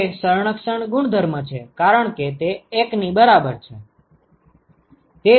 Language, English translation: Gujarati, That is the conservation property because that is equal to 1